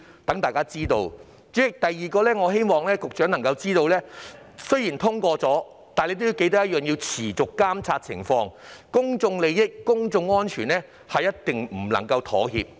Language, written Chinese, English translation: Cantonese, 第二，局長應該緊記，在法例通過後仍須持續監察樓宇安全，公眾利益和公眾安全是絕對不能妥協的。, Second the Secretary should bear in mind that after the passage of the Bill it is still necessary to monitor the safety of buildings on an ongoing basis since public interests and public safety cannot be compromised at all